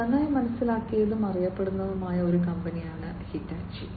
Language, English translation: Malayalam, Hitachi is a company that is well understood and well known